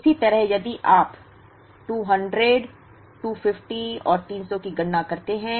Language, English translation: Hindi, So similarly, if you we compute for 200, 250 and 300